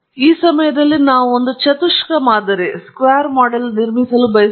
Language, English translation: Kannada, This time around we want to built a quadratic model